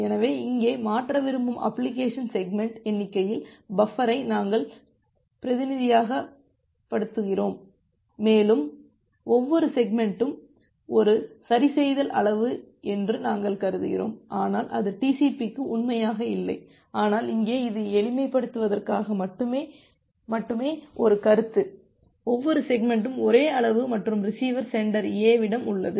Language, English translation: Tamil, So, here we are representing buffer at the number of segments that you want to transfer and we are assuming that every segment is a fix size although that does not hold true for TCP, but here this is just for simplification, we are making an assumption that every segment has of same size and the receiver at the sender, sender A